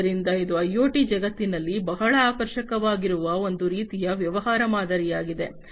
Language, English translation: Kannada, So, this is a kind of business model that is very attractive in the IoT world